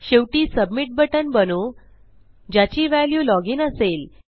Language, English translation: Marathi, And finally well create a submit button and its value will be Log in